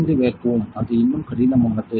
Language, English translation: Tamil, 5 vacuum; it is even more difficult